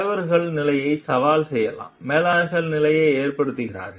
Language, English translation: Tamil, Leaders can challenge the status quo; managers accept the status quo